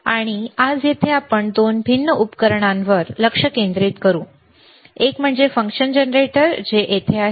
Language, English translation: Marathi, And here today we will concentrate on two different equipments: one is function generator which is right over here